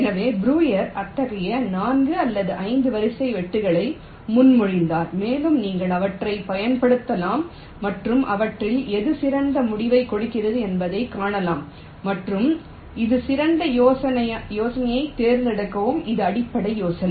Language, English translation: Tamil, so breuer proposed four or five such sequence of cuts and you can apply them and see which of them is giving the better result and select that better one